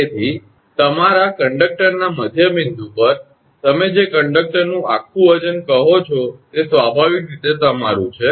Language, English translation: Gujarati, So, naturally your what you call that whole weight of the conductor your at the midpoint of the your conductor